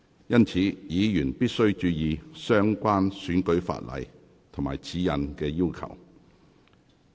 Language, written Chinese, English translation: Cantonese, 因此，議員必須注意相關選舉法例及指引的要求。, Therefore Members must take note of the requirements provided by the election legislation and guidelines